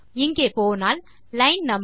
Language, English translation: Tamil, Now if we go here line no